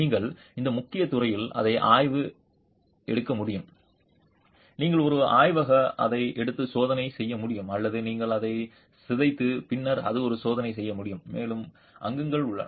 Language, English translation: Tamil, You can take this core, examine it in the field, you can take it to a laboratory and do tests on it or on, you can make it disintegrate and then do a test on its constituents also